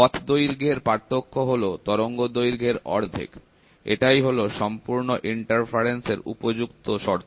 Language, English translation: Bengali, The difference in path length is one half of the wavelength; a perfect condition for total interference